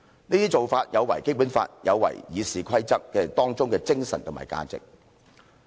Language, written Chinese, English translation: Cantonese, 這些做法有違《基本法》，有違《議事規則》當中精神及價值。, Their proposed arrangement is in breach of the Basic Law and also the spirit and values of RoP